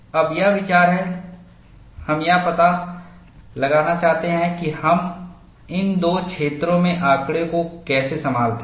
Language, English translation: Hindi, Now, the idea is, we want to find out, how do we handle data in these two zones